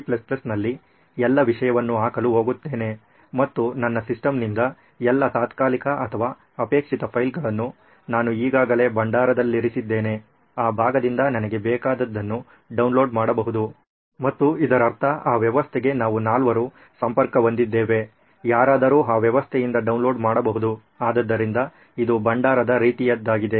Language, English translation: Kannada, So I go put up all that content in DC++ and I can flush out all the temporary or unrequired files from my system it is already there in the repository, I can download whatever I want from that part and it not just means we four are connected to that system, anyone can download from that system, so it is more like a repository kind of thing as well